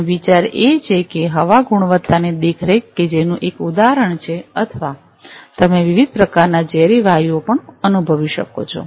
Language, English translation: Gujarati, And the idea is to make say air quality monitoring that is one of the examples or you can sense various types of toxic gases as well